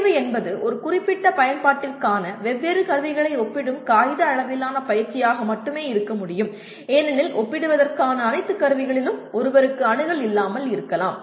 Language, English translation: Tamil, Selection can only be paper level exercise comparing the different tools for a specified application because one may not have access to all the tools for comparison